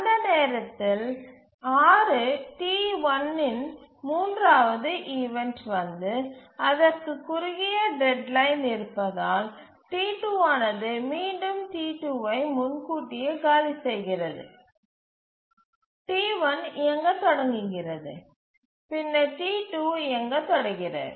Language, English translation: Tamil, At the time instance 6, the third instance of T1 arrives and because it has a shorter deadline then the T2 it again preempts T2, T1 starts running and then T2 starts running